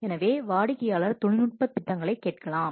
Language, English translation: Tamil, So, the customer may ask for the technical proposals